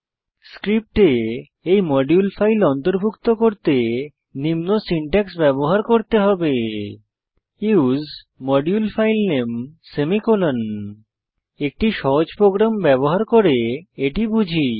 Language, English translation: Bengali, To include the module file in the script, one has to use the following syntax use ModuleFileName semicolon Let us understand this using a sample program